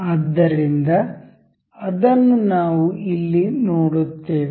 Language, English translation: Kannada, So, we will see here